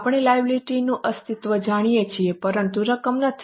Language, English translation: Gujarati, We know the existence of liability but not the amount